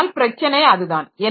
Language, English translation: Tamil, So, that is the issue